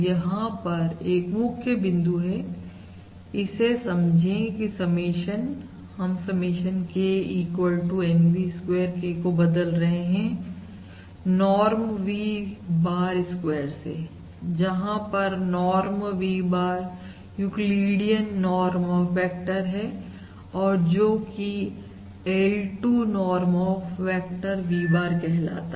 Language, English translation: Hindi, notice that the summation small point, but it is fairly important replacing the summation K equals to 1 to N V square K by norm V bar square, where norm V bar is the Euclidean norm of the vector, or the L2, or also known as the L2 norm of the vector V bar